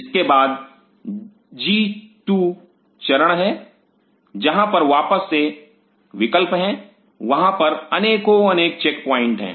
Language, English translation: Hindi, And followed by a G 2 phase where the again have a choice again have a choice and there are lot of checkpoints out here